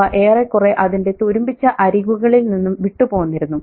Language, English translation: Malayalam, They were nearly off their rusty hinges